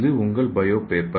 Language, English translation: Tamil, This is your bio paper